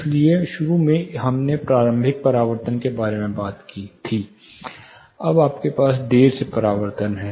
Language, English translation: Hindi, So, initially we talked about late reflection, initial reflections, you have late reflections